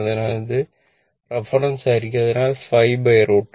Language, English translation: Malayalam, So, it will be this is reference so, 5 by root 2